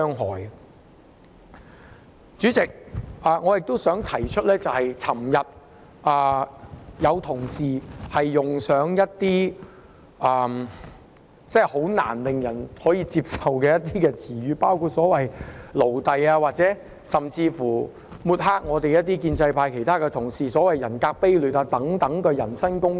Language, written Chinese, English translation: Cantonese, 代理主席，我還想提出，昨天有同事用上一些令人難以接受的言詞，包括"奴隸"，甚至說一些抹黑建制派同事的說話，例如"人格卑劣"等的人身攻擊。, Deputy President I also wish to point out that yesterday some Honourable colleagues made some utterly unacceptable remarks including slaves or remarks that tarnish Members of the pro - establishment camp for example personal affronts like base character